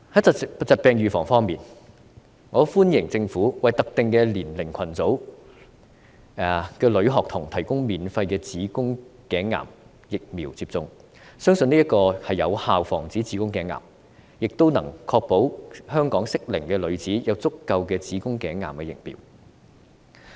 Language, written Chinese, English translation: Cantonese, 在疾病預防方面，我歡迎政府為特定年齡組群的女學童提供免費子宮頸癌疫苗接種，相信此舉會有效防止子宮頸癌，亦能確保香港的適齡女子有足夠的子宮頸癌疫苗。, Regarding disease prevention I welcome the Governments initiative to introduce free HPV vaccination to school girls of particular age groups . I believe this will effectively prevent cervical cancer and ensure sufficient HPV vaccine supply for girls of eligible age in Hong Kong